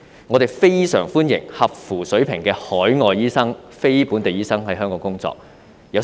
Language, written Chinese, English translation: Cantonese, 我們非常歡迎達專業水平的非本地醫生來港工作。, We welcome non - local doctors at professional level to come and practise in Hong Kong